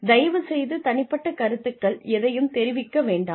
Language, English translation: Tamil, Please do not make personal comments